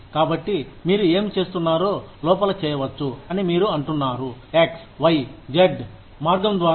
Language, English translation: Telugu, So, you say that, whatever you are doing, can be done in X, Y, Z way